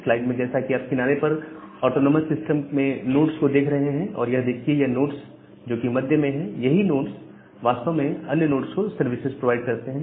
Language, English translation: Hindi, So, these nodes are the edge nodes edge nodes in the autonomous system and this is the nodes which are there in the middle, this nodes they actually provide service to all other nodes